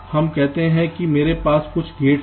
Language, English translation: Hindi, let say i have some gates